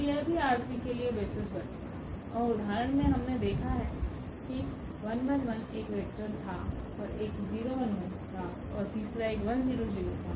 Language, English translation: Hindi, So, that will also form the basis for R 3 and the example we have seen those 1 1 1 that was 1 vector another one was 1 0 and the third one was 1 0 0